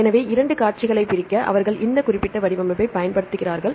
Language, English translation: Tamil, So, to separate two sequences they use this specific format